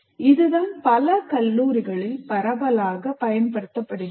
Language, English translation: Tamil, And I'm sure this is what is being used extensively in many of the colleges